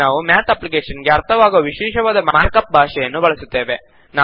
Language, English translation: Kannada, Here we will use a special mark up language that the Math application can understand